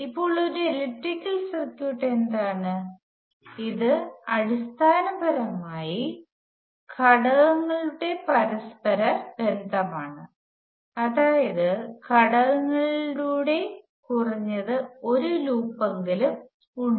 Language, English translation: Malayalam, Now, what is an electrical circuit, it is basically an interconnection of elements such that there is at least one loop of elements